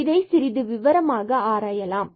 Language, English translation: Tamil, Let us explore this little bit more